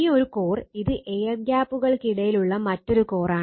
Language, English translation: Malayalam, And this one core, this is another core in between some air gap is there